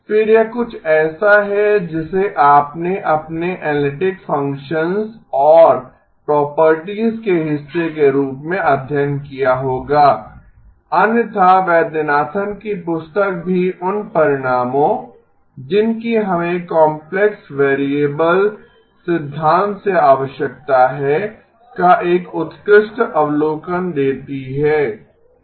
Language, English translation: Hindi, Again, this is something that you would have studied as part of your analytic functions and properties even otherwise Vaidyanathan’s book gives an excellent overview of the those results that we need from complex variable theory okay